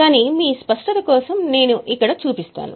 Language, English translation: Telugu, But I would just show it here for your clarity